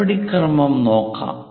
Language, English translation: Malayalam, Let us look at the procedure